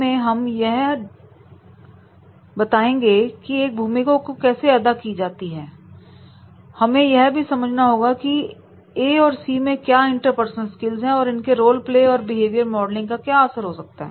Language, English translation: Hindi, By role play we can demonstrate that is the how when you play a role now we have to also understand between the A and C that is the interpersonal skills, in the interpersonal skills, the role play and behavior modeling